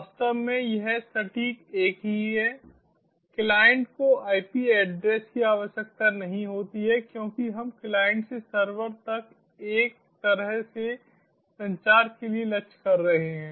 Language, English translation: Hindi, the client doesnt require a ip address because we are aiming for a one way communication from the client to the server